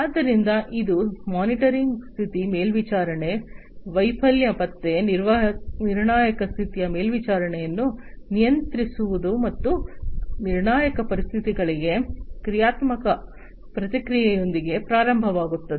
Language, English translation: Kannada, So, it will start with the monitoring status monitoring, failure detection, control critical condition monitoring, and the dynamic response to critical conditions